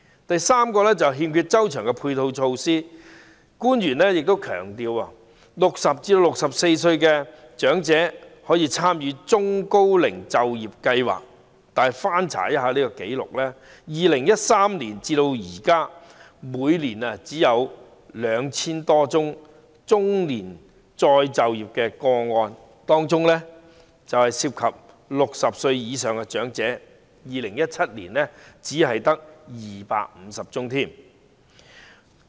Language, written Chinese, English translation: Cantonese, 第三，欠缺周詳的配套措施：官員強調60至64歲長者可參加中高齡就業計劃，惟翻查紀錄 ，2013 年至今，每年只有 2,000 多宗中年再就業的個案，當中涉及60歲以上長者的個案在2017年只有250宗。, The third one is lacking comprehensive ancillary measures . The officials emphasize that elderly people aged 60 to 64 may join the Employment Programme for the Elderly and Middle - aged but I have checked the records and found that since 2013 the number of cases of re - employment of the middle - aged was only 2 000 - odd each year . Among them the number of cases involving elderly people aged over 60 was only 250 in 2017